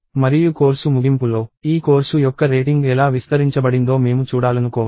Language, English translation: Telugu, And at the end of the course I may want to see how the rating of this course was spread